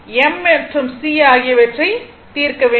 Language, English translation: Tamil, You have to put and you have to solve for m and c no need